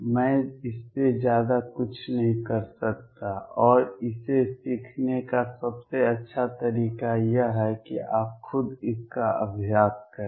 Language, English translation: Hindi, I cannot do more than this and the best way to learn it is to practice it yourself